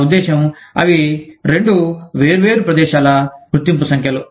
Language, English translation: Telugu, I mean, they both, identification numbers for different locations